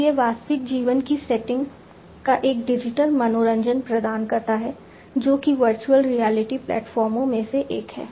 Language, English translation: Hindi, So, it offers a digital recreation of the real life setting, which one the virtual reality platforms